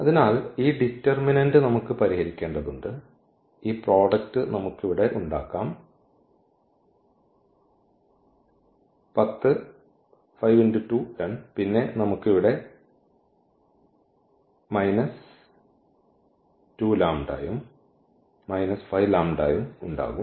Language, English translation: Malayalam, So, this determinant we have to solve which we can make this product here, the 10 and then we will have here minus 2 and minus 5